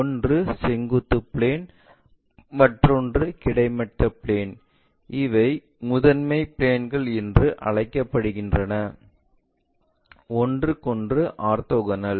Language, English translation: Tamil, One is our vertical plane, horizontal plane, these are called principle planes, orthogonal to each other